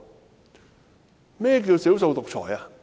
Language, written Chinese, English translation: Cantonese, 甚麼是少數獨裁？, What exactly is dictatorship of the minority?